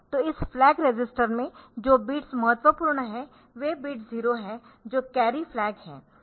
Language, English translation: Hindi, So, this flag register the bits that are important the 0 with a bit 0 which is the carry flag